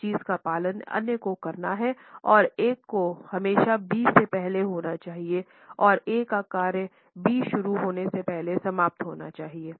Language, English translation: Hindi, One thing has to follow the other and A should always precede B and A should end before the task B begins